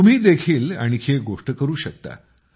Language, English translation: Marathi, You can do one more thing